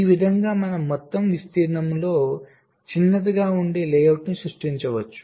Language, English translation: Telugu, so in this way we can create a layout which will be smaller in terms of the total area